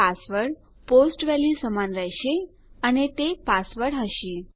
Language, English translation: Gujarati, password will equal a POST value and that will be password